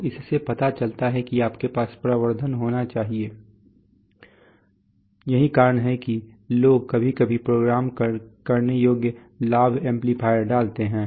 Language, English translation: Hindi, So this shows that always it is, you must have amplification that is why is people sometimes put programmable gain amplifiers